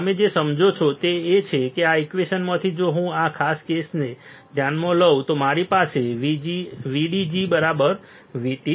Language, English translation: Gujarati, What you understood is that from this equation if I consider this particular case, then I have then I have VDG equals to V T